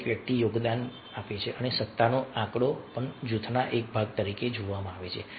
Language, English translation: Gujarati, each person makes a contribution and the authority figure is also seen as a part of the group